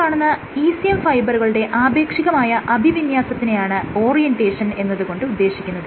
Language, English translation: Malayalam, What I mean by topography is the relative orientation of these ECM fibers